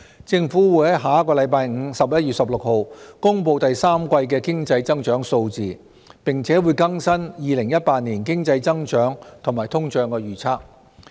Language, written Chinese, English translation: Cantonese, 政府會在下星期五公布第三季的經濟增長數字，並會更新2018年經濟增長及通脹預測。, The Government will announce figures of the third quarter economic growth and the latest economic and inflation forecasts for 2018 next Friday 16 November